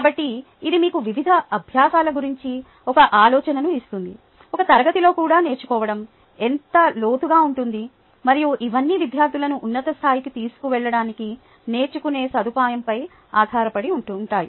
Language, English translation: Telugu, ok, so this gives you an idea of the kind of learning, the depth to which learning can happen, ah, in even in a class, and it all depends on the facilitator of learning to takes students to the highest level